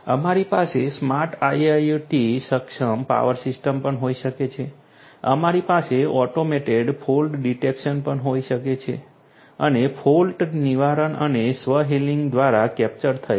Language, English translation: Gujarati, We could also have in a smart IIoT enabled power system, we could also have you know automated fault detection, fall prevention is something over here captured through self healing